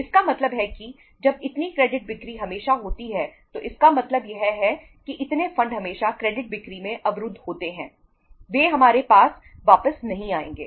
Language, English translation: Hindi, It means when this much of the credit sales are always there it means this much of the funds are always blocked in the credit sales they will not come back to us